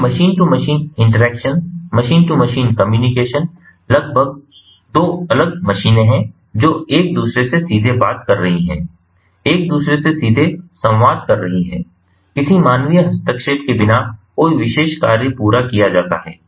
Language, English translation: Hindi, when we talk about data handling and data analytics, then machine to machine interaction, machine to machine communication, is about two machines directly talking to each other, directly communicating with each other, getting a particular work or a task accomplished without any human intervention, without any human intervention